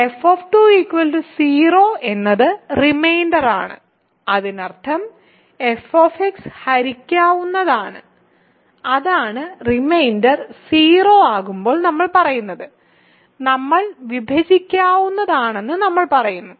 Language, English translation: Malayalam, So, f 2 is 0 means the reminder upon division of f x by x minus 2 is 0; that means, f x is divisible by right that is what we say when the reminder is 0, we say that is divisible